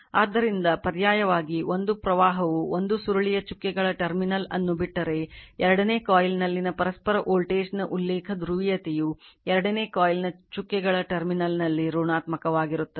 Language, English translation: Kannada, If a current enters the dotted terminal of one coil , the reference polarity of the mutual voltage right in the second coil is positive at the dotted terminal of the second coil